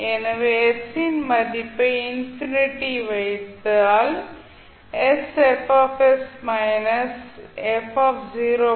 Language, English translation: Tamil, So if you put the value s as infinity this will become zero